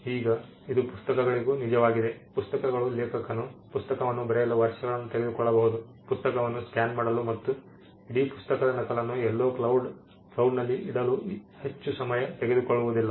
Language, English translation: Kannada, Now this is also true for books, books may take an author may take years to write the book it does not take much to scan the book and put the copy of the entire pirated book somewhere in the cloud